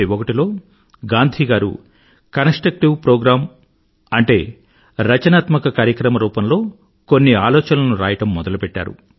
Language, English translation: Telugu, In 1941, Mahatma Gandhi started penning down a few thoughts in the shape of a constructive Programme